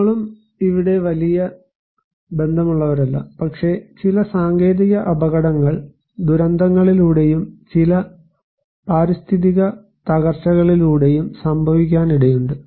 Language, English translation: Malayalam, We are also not very related to here, but we can also consider some technological hazards can happen through disasters and also some environmental degradations which can also cause disasters